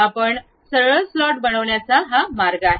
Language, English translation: Marathi, This is the way you construct a straight slot